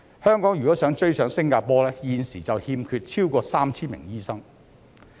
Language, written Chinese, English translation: Cantonese, 香港如果想追上新加坡，現時已欠缺超過 3,000 名醫生。, If Hong Kong wants to catch up with Singapore there is already a shortfall of over 3 000 doctors